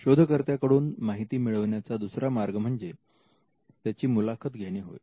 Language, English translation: Marathi, Another way to get information from the inventor is, by interviewing the inventor